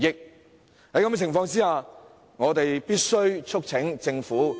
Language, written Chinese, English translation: Cantonese, 在這種情況下，我們必須促請政府......, Under such circumstances we must call upon the Government to abolish the offsetting mechanism expeditiously